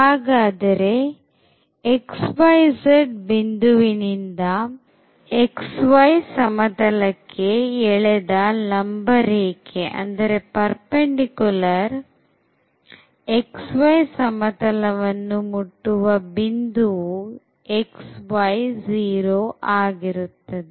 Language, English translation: Kannada, So, the distance from this point to this perpendicular drawn to the xy plane